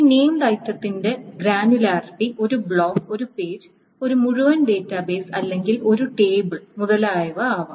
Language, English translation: Malayalam, Now the granularity of this named item may be a block, maybe a page, maybe the entire database,, maybe a table, etc